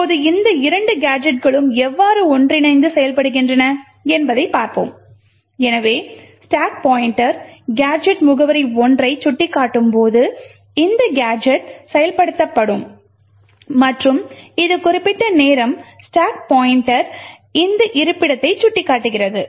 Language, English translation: Tamil, Now let us see how these two gadgets work together, so when the stack pointer is pointing to gadget address 1 it would result in this gadget getting executed and at this particular time the stack pointer is pointing to this location